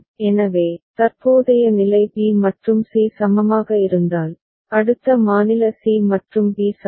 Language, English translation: Tamil, So, next state c and b are equivalent, if present state b and c are equivalent